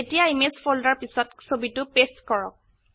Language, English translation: Assamese, Now paste the image back into the image folder